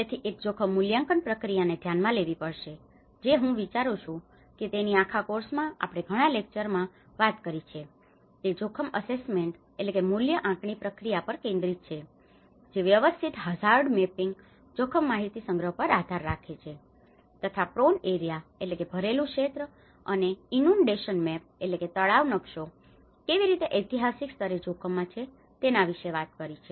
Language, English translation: Gujarati, So, one has to look at the risk assessment process I think in the whole course we are talking about many of our lectures are focusing on the risk assessment process which rely on systematic hazard mapping and risk information collections, how the historical layers of the risk also talks about yes this is a prone area and inundation maps